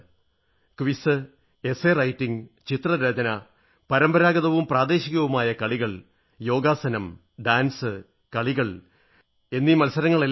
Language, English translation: Malayalam, This includes quiz, essays, articles, paintings, traditional and local sports, yogasana, dance,sports and games competitions